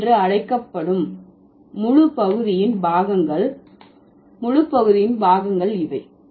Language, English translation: Tamil, So, these are the parts of this, the entire part called body